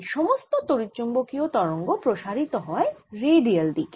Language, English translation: Bengali, so all this electromagnetic waves of propagating in the redial direction